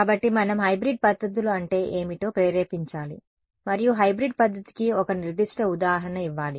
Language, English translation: Telugu, So, of course, we need to motivate what hybrid methods are and give a particular example of a hybrid method